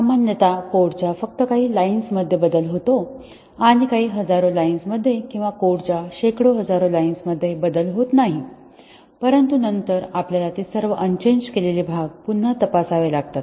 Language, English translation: Marathi, Typically the change occurs to only few lines of code and few tens of thousands of line or hundreds of thousands of line of code does not change, but then we have to retest all those parts unchanged parts even though earlier they had passed